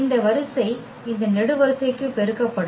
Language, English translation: Tamil, This row will be multiplied to this column